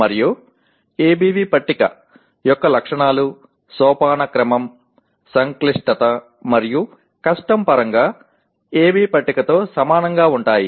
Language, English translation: Telugu, And the features of ABV table are the same as those of AB table that is in terms of hierarchy, complexity as well as difficulty